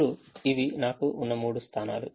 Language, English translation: Telugu, now, this are the three positions that i have